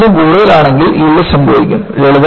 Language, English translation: Malayalam, If it is more than this, yielding will take place